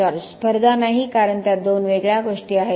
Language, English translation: Marathi, Absolutely no competition because it’s two different things